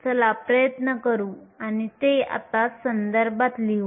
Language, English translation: Marathi, Let us try and put that in context now